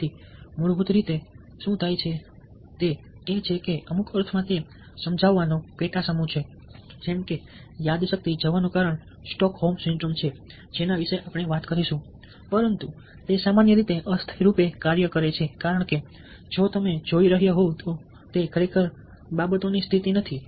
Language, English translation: Gujarati, so what basically happens is that in some sense it is a sub set of persuasion as his brain washing syndrome which will talk about, but it usually works temporarily because it's not the state of affairs actually